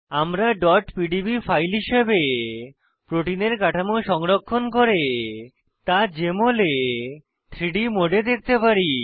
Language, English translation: Bengali, We can save the structures of proteins as .pdb files and view them in 3D mode in Jmol